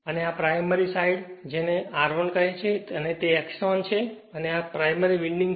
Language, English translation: Gujarati, And this is your primary side say and this side you have your what you call R 1 say and you have X 1 right and this is your primary side winding